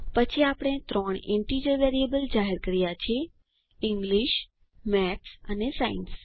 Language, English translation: Gujarati, Then we have declared three integer variables as english, maths and science